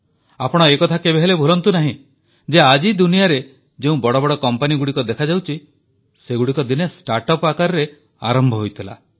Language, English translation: Odia, And you should not forget that the big companies which exist in the world today, were also, once, startups